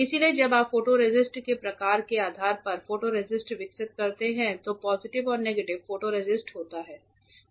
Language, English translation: Hindi, So, when you develop the photoresist depending on the type of photoresist there is positive photoresist and negative photoresist